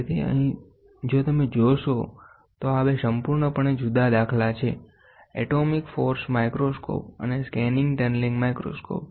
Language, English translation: Gujarati, So, here if you see, these 2 are completely different paradigm; atomic force microscope and scanning tunneling microscope